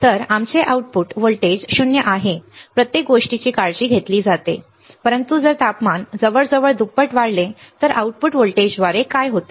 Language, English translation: Marathi, So, our output voltage is 0 right everything is taken care of, but what happens through the output voltage if the temperature rises to 50 degree almost double to this right